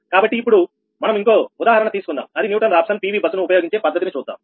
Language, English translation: Telugu, right now we take another, another example of newton raphson method: ah, that is using pu bus